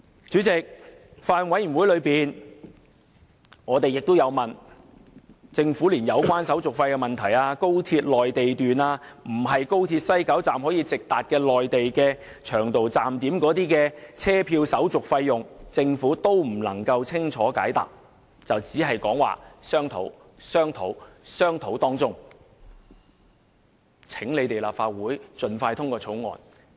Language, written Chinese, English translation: Cantonese, 主席，在法案委員會會議上，政府對於有關購買車票的手續費用，即購買高鐵內地段、並非高鐵西九龍站可直達的內地長途站點的車票的手續費用問題，未能清楚解答，只是不斷表示正在進行商討，但卻要求立法會盡快通過《條例草案》。, President at meetings of the Bills Committee the Government failed to give a clear answer on the service fees to be charged for the purchase of XRL tickets that is the service fees for buying tickets for Mainland long - haul routes where passengers cannot directly access to from the West Kowloon Station of XRL . It only reiterated that discussions were underway and urged the Legislative Council to expeditiously pass the Bill saying that if the Legislative Council failed to do so it would be throwing a spanner in the works